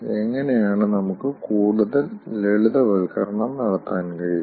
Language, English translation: Malayalam, how we can do the further simplification